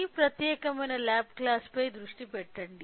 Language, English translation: Telugu, So, focus on this particular lab class